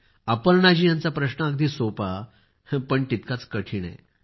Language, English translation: Marathi, " Aparna ji's question seems simple but is equally difficult